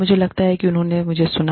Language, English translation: Hindi, I think, they heard me